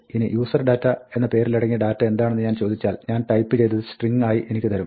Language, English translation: Malayalam, Now, if I ask for the contents of the name userdata, it will be impact me the string of things that I had typed